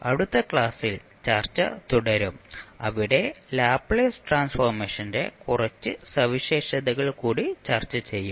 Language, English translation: Malayalam, We will continue our discussion in the next class where we will discuss few more properties of the Laplace transform